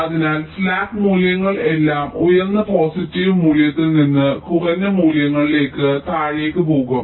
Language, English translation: Malayalam, so slack values will all go towards the downward side, from a higher positive value to a lower values